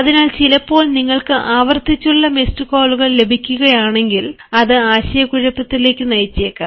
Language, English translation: Malayalam, so, but then sometimes, if you receive repeated number of miss calls, that actually may lead to confusion